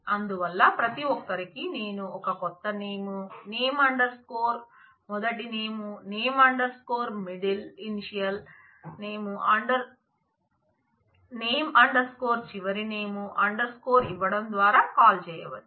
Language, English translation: Telugu, So, each one of them I can call by given new name, name underscore first name, name underscore middle initial name underscore last name